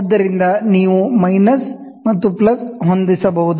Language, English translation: Kannada, So, you can have minus and plus